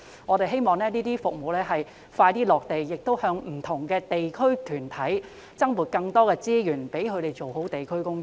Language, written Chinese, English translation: Cantonese, 我們希望當局盡快落實這些服務，並向不同的地區團體增撥資源，讓他們做好地區工作。, We hope the Government can implement these services as soon as possible and allocate additional resources to different district groups so as to let them do a good job in delivering their district work